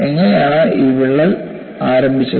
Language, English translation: Malayalam, And how this crack has been initiated